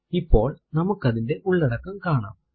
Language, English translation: Malayalam, Now you can see its contents